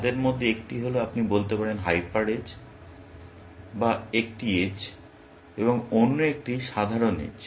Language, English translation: Bengali, One of them is, you might say, hyper edge or an edge; and the other one is simple edge